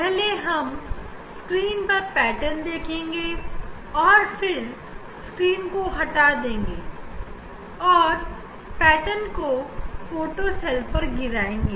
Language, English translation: Hindi, first, we will see the pattern on the screen and then screen will take away and the pattern will fall on the photocell